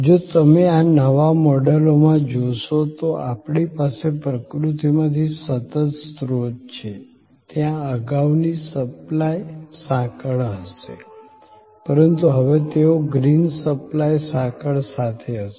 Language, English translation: Gujarati, If you see therefore in this new model, we have sustainable sourcing from nature, there will be those earlier supply chain, but now, they will have per with green supply chain